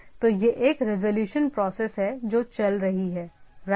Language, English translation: Hindi, So, it is some sort of a resolution process which is going on right